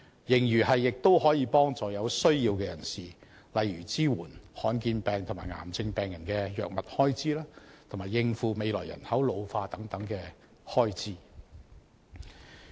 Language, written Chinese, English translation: Cantonese, 盈餘亦可幫助有需要人士，例如支援罕見疾病和癌症病人的藥物開支，以及應付未來人口老化等開支。, The surplus may also be used to help those in need such as providing assistance for patients of rare diseases or cancers to meet their expenses on drugs and meeting future expenses arising from an ageing population etc